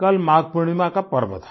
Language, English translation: Hindi, Yesterday was the festival of Magh Poornima